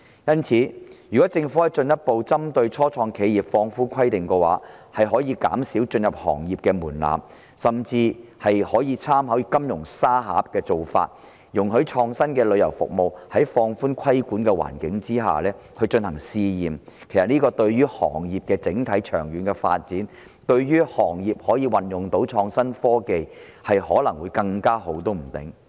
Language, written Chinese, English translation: Cantonese, 因此，如果政府可以進一步針對初創企業放寬規定，降低進入行業的門檻，甚至參考"金融沙盒"的做法，容許創新的旅遊服務在放寬規管的環境下進行試驗，對於行業整體長遠的發展及運用創新科技方面，可能會更好。, Hence if the Government further relaxes the requirements on start - ups lowers the threshold of entering the industry and even makes reference to the practice of the Fintech Supervisory Sandbox to allow pilot trials of innovative tourism services under a relaxed regulatory environment it may better facilitate the overall development and application of innovation and technology of the industry in the long run